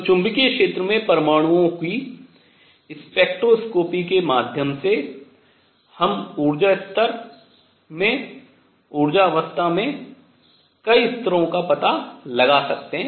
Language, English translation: Hindi, So, through spectroscopy of atoms in magnetic field, we can find out a number of levels in an energy level, in an energy state